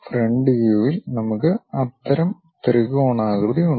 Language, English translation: Malayalam, In the front view, we have such kind of triangular shape